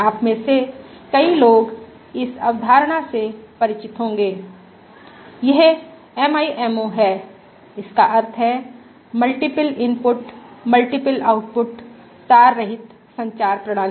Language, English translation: Hindi, Many of you must be familiar with this concept, this of MIMO it stands for Multiple Input, Multiple Output wireless communication systems